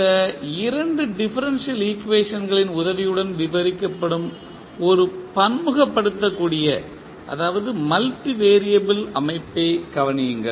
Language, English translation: Tamil, Consider a multivariable system which is described with the help of these two differential equations